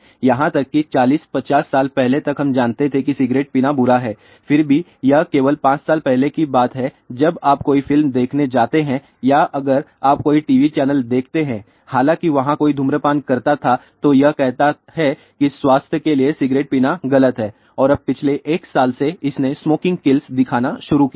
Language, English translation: Hindi, Even 40 50 years back we knew that cigarette smoking is bad, yet it was only about a 5 years back when if you go to watch a movie or if you see some TV channel though there was somebody is smoking then it says cigarette is injurious to health and now, for a last 1 year it has started showing smoking kills